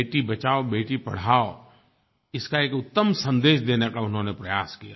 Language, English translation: Hindi, Beti Bachao Beti Padhao they made an effort and sent a good message